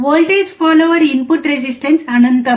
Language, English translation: Telugu, The input resistance of the voltage follower is infinite